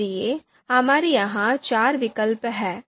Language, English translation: Hindi, So we have you know four alternatives here